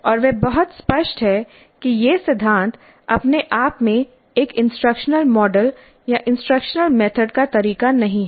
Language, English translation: Hindi, And he is very clear that these principles are not in and of themselves a model or a method of instruction